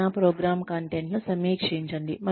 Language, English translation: Telugu, Review possible training program content